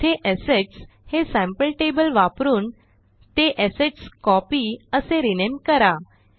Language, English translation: Marathi, Here, use the Assets sample table and rename it to AssetsCopy